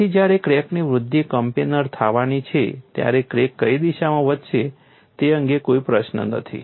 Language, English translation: Gujarati, When the crack growth is going to be coplanar there is no question of which direction the crack will grow